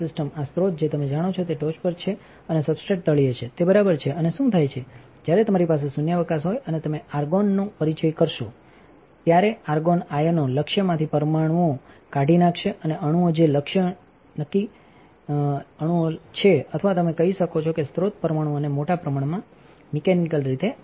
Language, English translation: Gujarati, The these sources you know on the top and the substrate is on the bottom all right and what happen is, that when you have a vacuum and you introduce argon then argon ions will dislodge the atoms from the target and this atoms which is target atoms or you can say source atoms will get this large mechanically